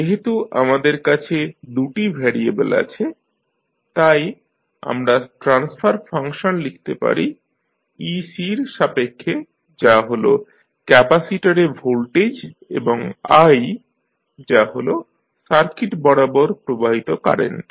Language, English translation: Bengali, Now, since we have here 2 variables, so, we will, we can write the transfer function in terms of ec that is the voltage across capacitor and i that is current flowing through the circuit